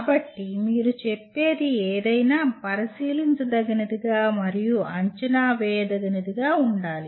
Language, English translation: Telugu, So anything that you state should be observable and assessable